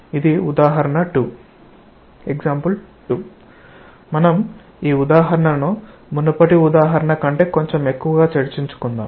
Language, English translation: Telugu, Example 2, we will make this example a bit more involved than the previous one